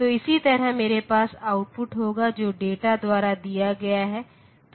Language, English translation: Hindi, So, similarly I will have the output which is given by the data